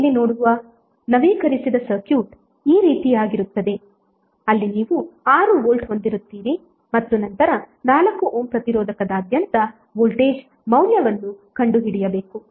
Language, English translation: Kannada, So the updated circuit which you will see here would be like this where you will have 6 volt and then need to find out the value of voltage across 4 Ohm resistance